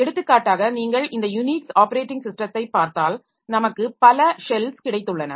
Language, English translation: Tamil, For example, if you look into this Unix operating system, so we have got several cells